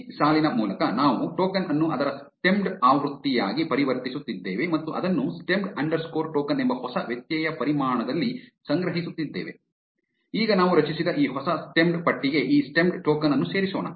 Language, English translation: Kannada, By this line, what we are doing is we are converting token into it's stemmed version and storing it in a new variable called stemmed underscore token; now let us append this stemmed token into this new stemmed list that we created